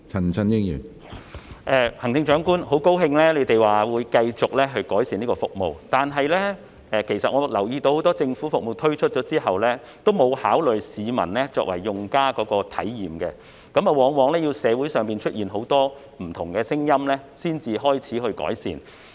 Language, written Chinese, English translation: Cantonese, 很高興聽到行政長官說會繼續改善這項服務，但其實我留意到很多政府服務推出後，都沒有考慮市民作為用家的體驗，往往要待社會上出現很多不同的聲音後，才開始改善。, I am glad to hear the Chief Executive say that there will be continual improvement in this service . However actually I have noticed that many government services failed to take into account the personal experience of members of the public as users after being launched . Very often improvement did not start until many different voices had emerged in society